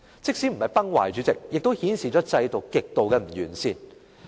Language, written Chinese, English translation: Cantonese, 即使不是崩壞，主席，這也顯示制度的極度不完善。, Even if it has not crumbled President the system is extremely faulty